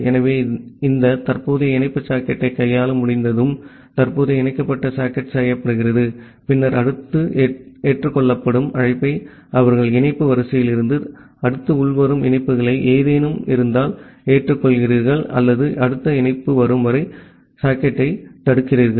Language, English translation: Tamil, So, once the handling of this current connection socket is done current connected socket is done, then the next accept call they accept the next incoming connections from the connection queue if there is any or blocks the receiving socket until the next connection comes